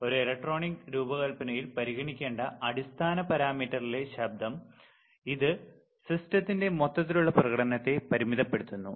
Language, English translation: Malayalam, Noise in fundamental parameter to be considered in an electronic design it typically limits the overall performance of the system